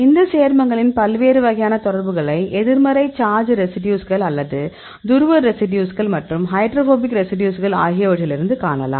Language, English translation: Tamil, These compound also you can see the different types of interactions from this negative charge residues or the polar residues as well as the hydrophobic residues